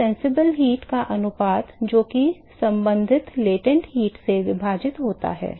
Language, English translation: Hindi, So, the ratio of the sensible heat that is carried divided by the corresponding latent heat